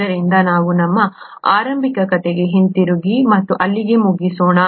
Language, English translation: Kannada, So let’s come back to our initial story and finish up there